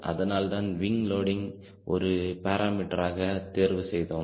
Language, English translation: Tamil, that is why we pick wing loading as one of the parameters